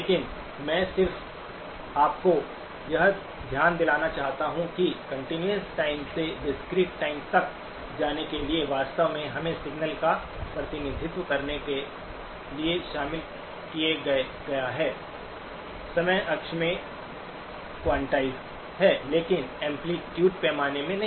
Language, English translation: Hindi, But I just want you to keep in mind that for us going from continuous time to the discrete time, actually involves us to represent the signal, quantized in the time axis but not in the amplitude dimension